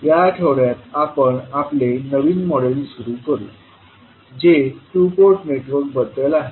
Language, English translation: Marathi, So, in this week we will start our new module that is on two port network